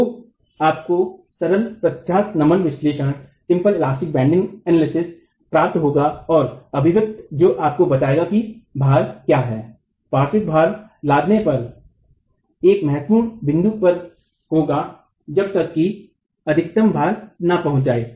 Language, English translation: Hindi, And so you get by simple elastic bending analysis an expression that will tell you what the load, the lateral load would be at critical points of loading till the maximum load is reached